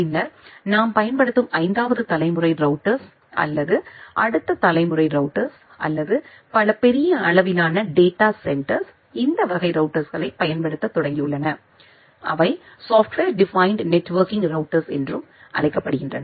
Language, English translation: Tamil, And then in the 5th generation router which we are using or which will say that the next generation router or many of the large scale data centers have started using this type of routers, which are called software defined networking routers